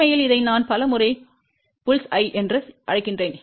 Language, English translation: Tamil, In fact, many a times I call this as Bull's eye also